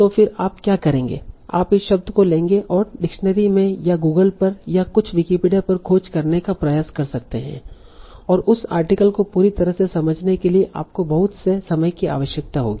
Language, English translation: Hindi, So then what you would do you will take these terms and try to search in the dictionary or some on Google or some or maybe on Wikipedia and that will require a lot of time from your side to fully understand that article